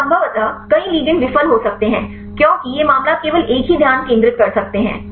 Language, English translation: Hindi, So, possibly many ligands may fail because this case you can focus only one conformation